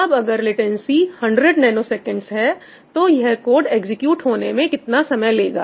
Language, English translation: Hindi, So, if latency is 100 nanoseconds, how long is this code going to take to execute